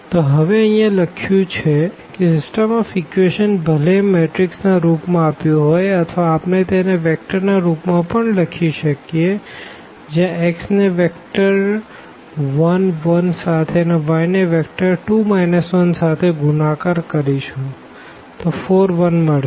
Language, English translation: Gujarati, So, now so, this is exactly what is written here that the system of equations whether it is given in the matrix form or we can also write down in this vector form where, x is multiplied to this vector 1 1 y is multiplied to this vector 2 minus 1 is equal to 4 1